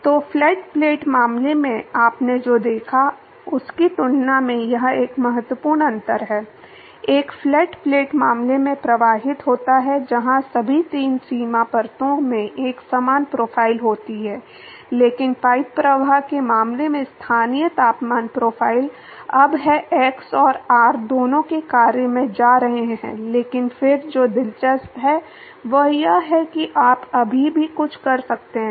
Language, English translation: Hindi, So, this is a significant difference from as compare to what you saw in the flat plate case, flow past a flat plate case, where all three boundary layers have a similar profile, but in case of a pipe flow the local temperature profile is now going to the function of both x and r, but then what is interesting is are you can still do something